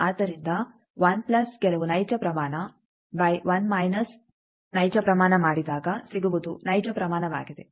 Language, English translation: Kannada, So, 1 plus some real quantity by 1 minus real quantity, that is also real quantity